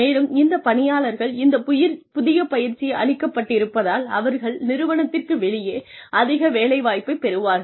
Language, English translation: Tamil, And, because this employee, has this new set of training, they will become more employable, outside the organization